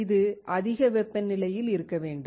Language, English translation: Tamil, It should be at high temperature